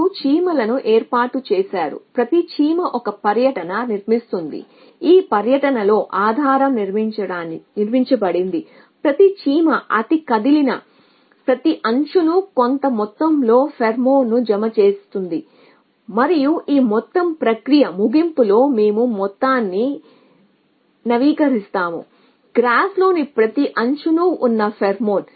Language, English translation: Telugu, You have the set up ants each ant construct a tour then base on the 2 it is constructed each ant deposits a certain amount of pheromone on every edge that it has moved on and that the end of this whole process, we update the amount of pheromone on every edge in the graph